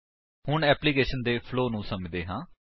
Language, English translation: Punjabi, Now, let us understand the flow of the application